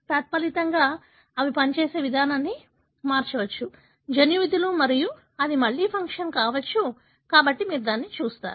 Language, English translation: Telugu, As a result, it can change the way they function, the gene functions and that could be again a function, so you will see that